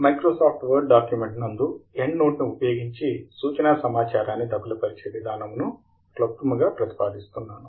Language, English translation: Telugu, Here is a brief demo on how to use Endnote Entries to add reference data to Microsoft Word document